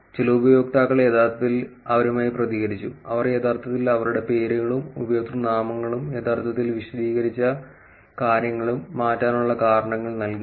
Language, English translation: Malayalam, Some users actually reacted with their, gave the reasons, why they are actually changing their names, usernames and actually explain things